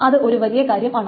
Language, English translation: Malayalam, That's the big thing